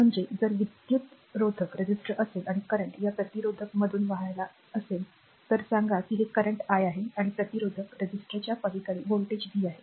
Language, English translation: Marathi, I mean if you have a resistor and current is flowing through this resistor say this current is i and across the resistor is voltage is v